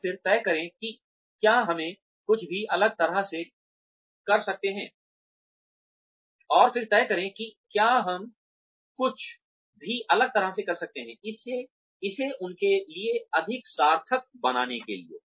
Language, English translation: Hindi, And then decide, whether we can do anything differently, to make it more worthwhile for them